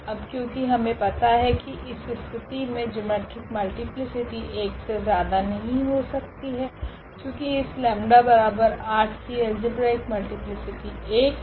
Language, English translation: Hindi, Though, we have already the result that the eigen the geometric multiplicity cannot be more than 1 now in this case, because the algebraic multiplicity of this lambda is equal to 8 is 1